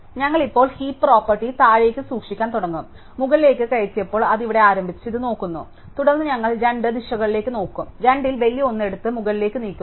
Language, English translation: Malayalam, So, we will start now the storing the heap property downwards, when we inserted we did upstairs, it start here and look at this and then we will look at both directions and we take of the bigger one of the two and move it up